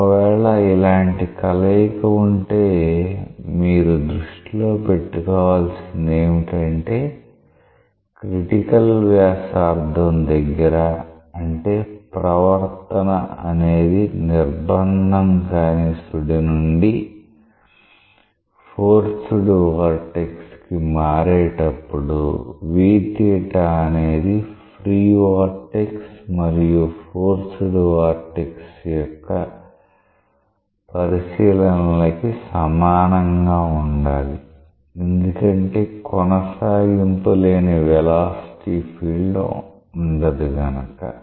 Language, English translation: Telugu, Now, keep in mind that if you have such a combination, you have to satisfy that at this point at these critical radius, I mean where you have like a transition of behavior from free to force vortex the v theta should be same as given by the considerations of free and force vortex because you cannot have a discontinuous velocity field